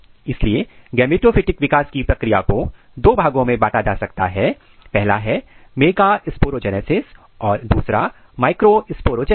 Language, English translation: Hindi, So, the process of gametophytic therefore, can be divided into two classes; one is the megasporogenesis and microsporogenesis